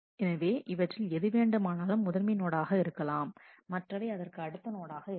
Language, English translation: Tamil, So, any one of them can be the first node other one can be the next node